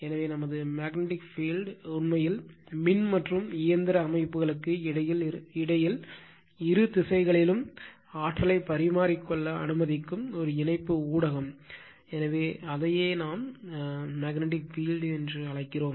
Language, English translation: Tamil, So, and our magnetic field actually is a coupling medium allowing interchange of energy in either direction between electrical and mechanical system right, so that is your what you call that at your it is what a actually magnetic field